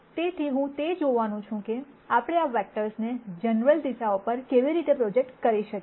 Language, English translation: Gujarati, So, I am going to look at how we can project this vectors onto general directions